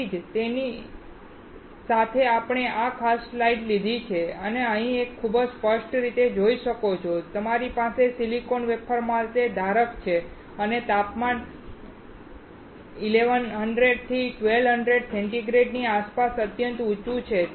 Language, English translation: Gujarati, So, that is why we have taken this particular slide and here you can see very clearly that you have a holder for the silicon wafers and the temperature is extremely high around 1100 to 1200 degree centigrade